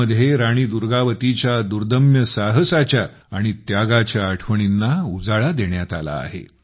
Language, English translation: Marathi, In that, memories of the indomitable courage and sacrifice of Rani Durgavati have been rekindled